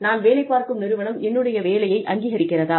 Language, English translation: Tamil, Is the organization, that I am working for, recognizing my work